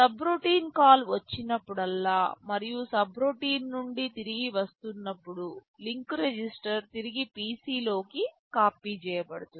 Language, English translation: Telugu, Whenever there is a subroutine call and when you are returning back from the subroutine, whatever is then the link register is copied back into PC